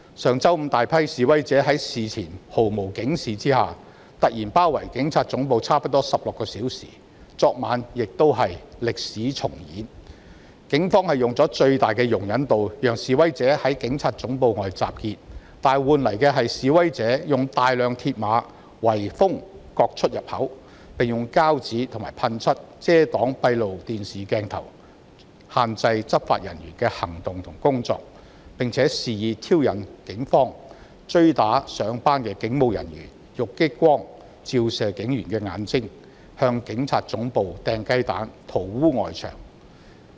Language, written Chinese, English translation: Cantonese, 上周五，大批示威者在事前毫無警示下突然包圍警察總部差不多16小時，而歷史亦在昨晚重演，警方以最大的容忍度讓示威者在警察總部外集結，卻換來示威者使用大量鐵馬圍封各出入口，並用膠紙及噴漆遮擋閉路電視攝影鏡頭，限制執法人員的行動和工作；又肆意挑釁警方，追打前往上班途中的警務人員並以激光照射他的眼睛，以及向警察總部投擲雞蛋及塗污外牆。, The Police had exercised the highest degree of tolerance and allowed the protesters to gather outside the Police Headquarters . Yet the protesters blocked all entrances and exits with a lot of mill barriers and masked CCTV cameras with plastic adhesive tapes and paint so as to restrain law enforcement officers from taking actions . The protesters also wantonly provoked the Police by chasing and assaulting a police officer who was on his way to work and flashing laser beams at his eyes as well as throwing eggs at the Police Headquarters and smearing its outer wall